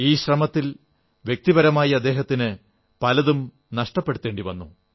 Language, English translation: Malayalam, In this endeavour, he stood to lose a lot on his personal front